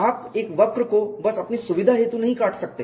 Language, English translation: Hindi, You cannot simply cut a curve out of your convenience